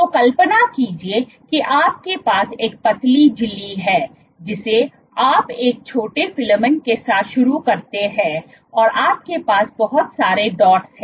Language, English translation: Hindi, So, imagine you have a thin membrane you be you start with a small filament and you have lots of dots lots